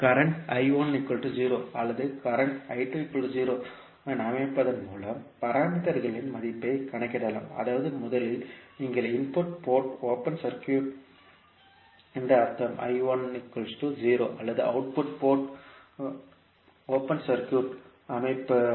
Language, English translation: Tamil, The value of parameters can be calculated by setting up either current I1 is equal to 0 or current I2 is equal to 0 that means first you will make input port open circuit means I1 is equal to 0 or output port open circuited means I2 equal to 0